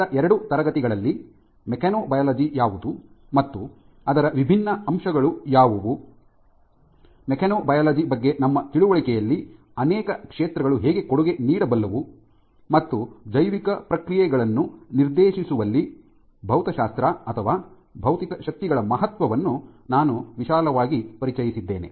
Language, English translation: Kannada, So, in the last two classes I have broadly introduces to what constitutes mechanobiology and what are the different aspects of it, how multiple fields can contribute to our understanding of mechanobiology, and the importance of physics or physical forces in dictating biological processes